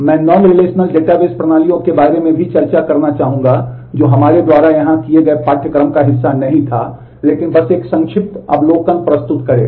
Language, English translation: Hindi, I will also touch upon we would like to discuss about non relational database systems which was not a part of the curriculum that we did here, but will just present a brief overview